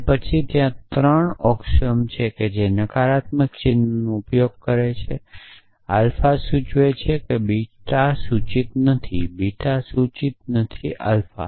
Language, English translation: Gujarati, Then, there are three axioms says which use negation sign alpha implies beta implies not beta implies not alpha